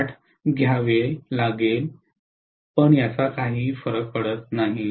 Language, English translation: Marathi, 8, it does not matter, okay